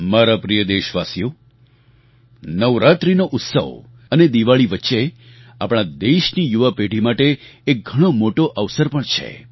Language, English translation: Gujarati, My dear countrymen, there is a big opportunity for our younger generation between Navratra festivities and Diwali